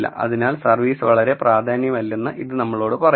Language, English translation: Malayalam, So, this tells you that service is not very important